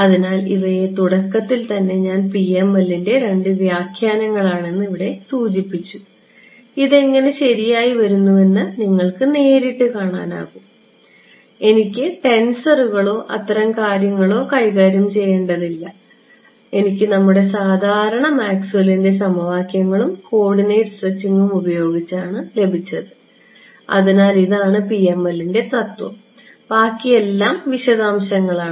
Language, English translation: Malayalam, So, in the very beginning I had mentioned that, these are the two interpretations of PML over here you can see straight away how it is coming right and I did not have to deal with tensors or any such things, I got is just by using our usual Maxwell’s equations and stretching the coordinates right